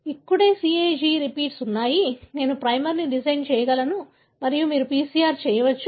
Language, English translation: Telugu, You can, this is where the CAG repeats are; I can design a primer and you can do a PCR